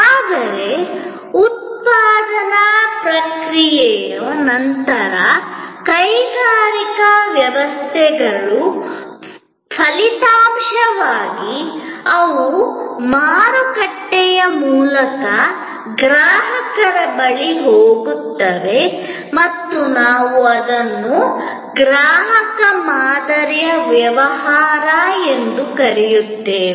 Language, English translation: Kannada, But, post manufacturing process, post industrial systems as outputs, they go to the consumer through the market and we call it as the business to consumer stream